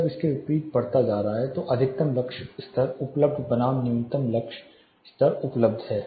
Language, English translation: Hindi, When the contrast is increasing beyond that is a maximum lux level available versus the minimum lux level available